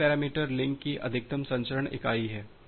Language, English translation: Hindi, The second parameter is the maximum transmission unit of the link